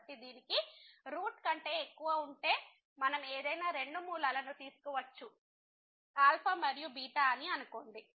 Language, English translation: Telugu, So, if it has more than root then we can take any two roots let us say alpha and beta